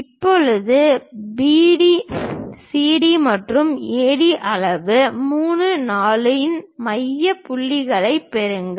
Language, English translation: Tamil, Now, obtain the midpoints 3 and 4 of the size CD and AD